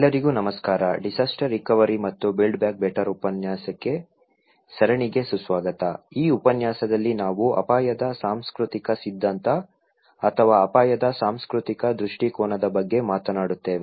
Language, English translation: Kannada, Hello everyone, welcome to the lecture series on disaster recovery and build back better; this lecture we will talk about cultural theory of risk or cultural perspective of risk